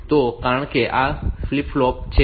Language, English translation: Gujarati, 5 so since this a flip flop